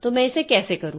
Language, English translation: Hindi, So, how do I do it